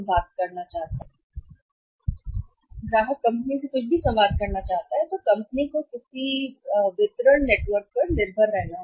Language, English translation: Hindi, So, when the customer wants to communicate anything to the company, company has to depend upon somebody either the distribution network